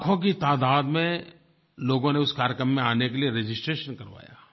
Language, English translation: Hindi, Lakhs of people had registered to attend this event